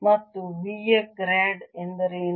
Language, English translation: Kannada, and what is grad of v